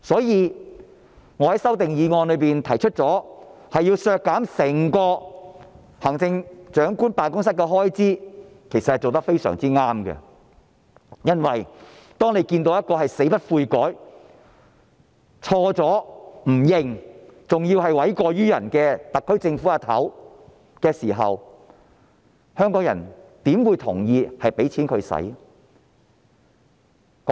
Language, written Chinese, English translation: Cantonese, 因此，我在修正案提出削減整個行政長官辦公室的開支是非常正確的，因為當你看到一個死不悔改，做錯但不承認，還要諉過於人的特區政府首長，香港人怎會同意把錢給她？, Therefore it is a right move for me to propose in the amendment to cut the expenditure of the entire Chief Executives Office . If you see somebody like her who remains unrepentant to the end and refuses to admit her mistakes but just passes the buck onto others as the head of the SAR Government why should the people of Hong Kong agree to give her the money?